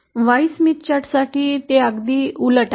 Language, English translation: Marathi, For the Y Smith chart, it is just the opposite